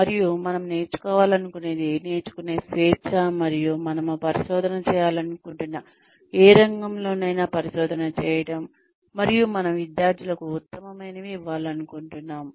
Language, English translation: Telugu, And, having the freedom to learn, whatever we want to learn, and to conduct research in any field, we want to conduct research in, and to give the best to our students